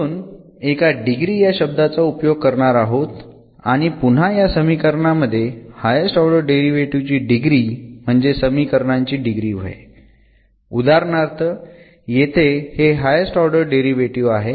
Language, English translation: Marathi, There is another terminology we will using here degree and degree here in these equations will be the degree of again the highest order derivatives involved, for instance in this case this is the higher order derivative